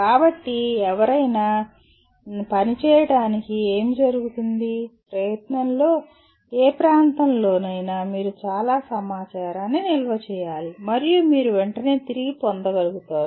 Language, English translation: Telugu, So what happens for anyone to function, adequately in any area of endeavor, you have to store lot of information and you should be able to readily retrieve